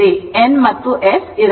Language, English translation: Kannada, N and S it has to be there